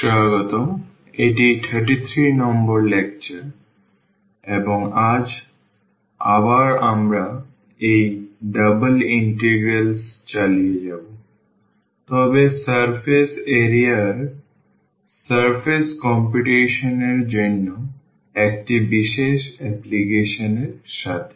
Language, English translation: Bengali, Welcome back this is lecture number 33 and today again we will continue with this Double Integrals, but with a special application to surface computation of the surface area